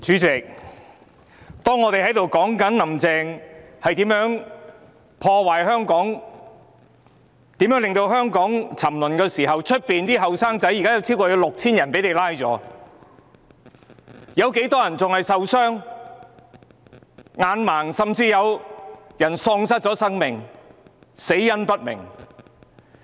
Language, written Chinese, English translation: Cantonese, 主席，當我們在談論"林鄭"如何破壞香港、如何令香港沉淪時，在外面，警方已拘捕超過 6,000 名年青人，有很多人受傷、失明，甚至有人喪命，死因不明。, President while we are here talking about how Carrie LAM is destroying Hong Kong and how she has brought about Hong Kongs decline outside the Police have arrested over 6 000 young men many people were injured and blinded and some even died of unknown causes